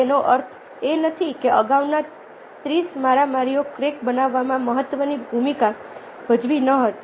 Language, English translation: Gujarati, that doesnt mean that ah the earlier thirty blows didnt play significant role in creating the crack